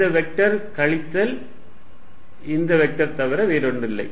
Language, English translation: Tamil, This vector is nothing but this vector minus this vector